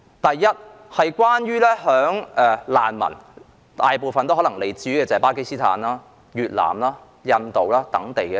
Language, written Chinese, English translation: Cantonese, 大部分難民可能來自巴基斯坦、越南、印度等地。, Most of the refugees in Hong Kong are from places such as Pakistan Vietnam or India